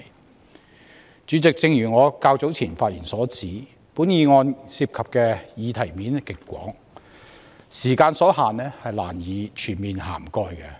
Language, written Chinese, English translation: Cantonese, 代理主席，正如我較早前發言提到，本議案涉及的議題層面極廣，由於時間所限，難以全面涵蓋各個層面。, Deputy President as I said earlier this motion involves an extensive coverage but due to time constraint we cannot cover all areas comprehensively